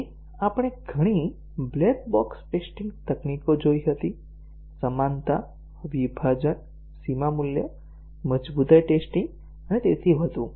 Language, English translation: Gujarati, And we had seen several black box test techniques – equivalence, partitioning, boundary value, robustness testing and so on